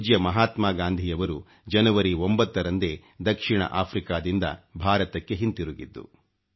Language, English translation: Kannada, It was on the 9 th of January, when our revered Mahatma Gandhi returned to India from South Africa